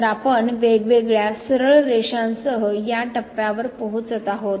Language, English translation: Marathi, So, we are approaching to this point along different straight lines